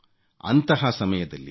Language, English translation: Kannada, Years ago, Dr